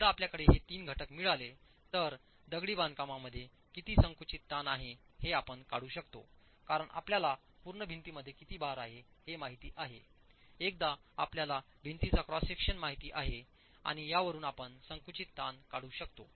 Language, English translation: Marathi, Once you have these three factors, make an estimate of the compressive stress in masonry because you know the total load acting on the masonry wall, you know the cross section of the masonry wall, make an estimate of the compressive stress